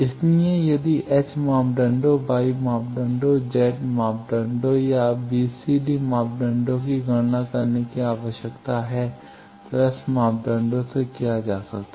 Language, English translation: Hindi, So, if required to calculate H parameter, Y parameter, Z parameter or b, c, d, parameter that can be done from S parameter if desired